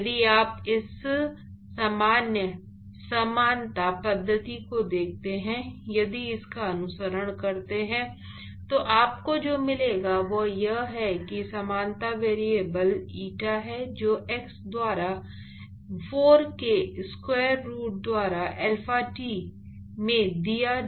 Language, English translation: Hindi, So, if you look at this general similarity method if you follow it, what you will get is that the similarity variable is eta which is given by x by square root of 4 into alpha t